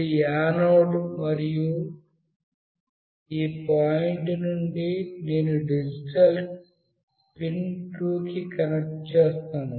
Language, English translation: Telugu, This is the anode and from this point I will connect to digital pin 2